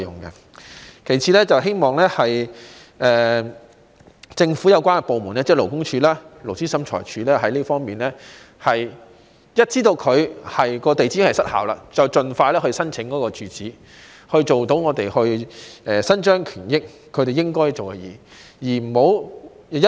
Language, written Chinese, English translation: Cantonese, 其次，希望政府有關部門，即勞工處及勞資審裁處，一旦知道登記地址已失效，便應盡快因應申請准許披露董事住址，讓我們能夠伸張正義，令公司做應該做的事情。, Secondly I hope that once the relevant government departments namely LD and LT know that the registered address of a director is no longer valid they should expeditiously give permission to disclosure of hisher residential address upon receiving an application so that we can uphold justice and make the company do what it should do